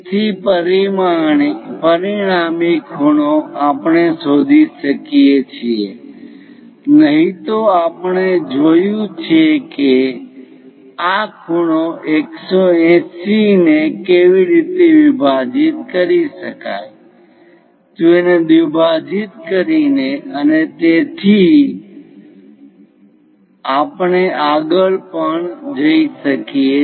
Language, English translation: Gujarati, So, the resulting angle we can really locate it, otherwise we have seen how to divide these angle 180 degrees by bisecting it, trisecting it and so on that is also we can go ahead